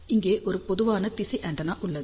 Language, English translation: Tamil, So, here is a typical directional antenna